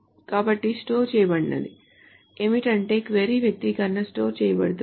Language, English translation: Telugu, So what is being stored is the query expression is being stored